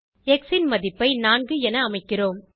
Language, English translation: Tamil, we set the value of x as 4